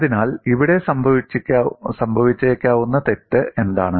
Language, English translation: Malayalam, So, what is a mistake that is possibly happening here